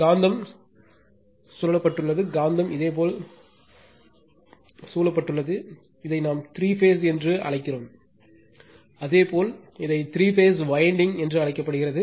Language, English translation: Tamil, And magnet is surrounded by right magnet is the your surrounded by that your some your what we call phase three phase your that three wind, the three phase winding called right